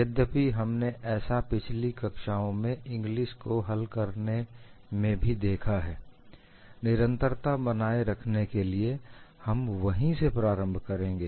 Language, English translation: Hindi, Although we have seen in the earlier classes, the solution by Inglis, for the sake of continuity we will start with that